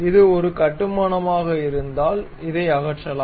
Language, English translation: Tamil, If it is a construction one we can remove that